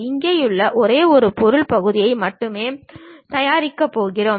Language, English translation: Tamil, Here also we are going to prepare only one single object part